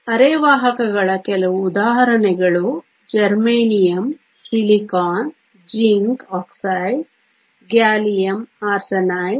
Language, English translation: Kannada, Some examples of semiconductors are Germanium, Silicon, Zinc Oxide, Gallium Arsenide